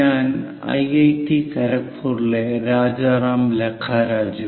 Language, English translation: Malayalam, I am Rajaram Lakkaraju from IIT, Kharagpur